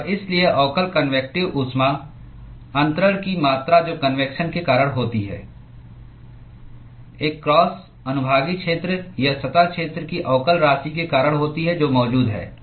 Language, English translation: Hindi, amount of heat transfer that occurs because of convections, is because of the differential amount of a cross sectional area or surface area which is present